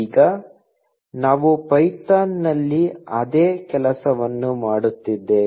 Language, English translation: Kannada, Now, we are doing the same thing in python